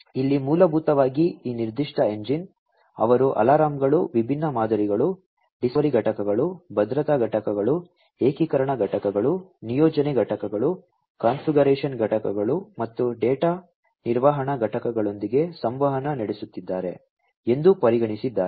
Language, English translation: Kannada, So, here basically this particular engine, they have considered to be interacting with alarms different models, discovery component, security components, integration components, deployment components, configuration components, and data management components